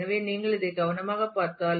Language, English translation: Tamil, So, if you look into this carefully